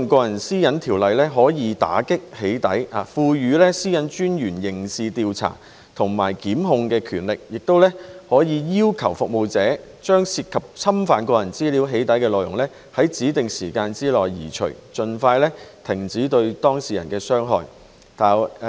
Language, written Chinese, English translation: Cantonese, 今次的《條例草案》可以打擊"起底"行為，賦予個人資料私隱專員刑事調查及檢控的權力，可以要求服務提供者將涉及侵犯個人資料的"起底"內容，在指定時間內移除，盡快停止對當事人的傷害。, The Bill this time around can combat the acts of doxxing . It gives the Privacy Commissioner of Personal Data the power to conduct criminal investigations and initiate prosecutions and request service providers to remove within a specified period of time the doxxing content which infringes on personal data with a view to expeditiously stopping the harm on the data subject